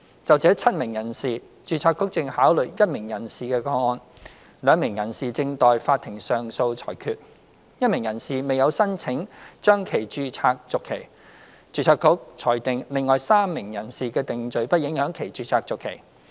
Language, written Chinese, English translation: Cantonese, 就這7名人士，註冊局正考慮1名人士的個案 ；2 名人士正待法庭上訴裁決 ；1 名人士未有申請將其註冊續期；註冊局裁定另外3名人士的定罪不影響其註冊續期。, Of these seven persons the Board is deliberating on the case of one of them; two persons are awaiting the courts verdict on their appeals; one person did not apply for registration renewal; and the Board decided that the convictions of the remaining three persons would not affect their registration renewal